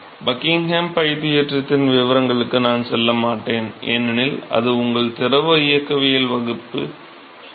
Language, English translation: Tamil, So, I would not go into the details of Buckingham pi because that is been covered in your fluid mechanics class